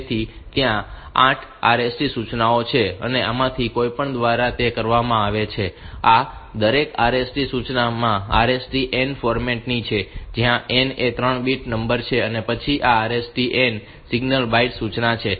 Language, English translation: Gujarati, So, there are 8 RST instructions and any of these, these are each of these RST instruction is of the format RST n where n is a 3 bit number and then this RST n is a single byte instruction